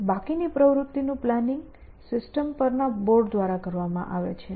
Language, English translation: Gujarati, Then the rest of the activity is planned by the system on board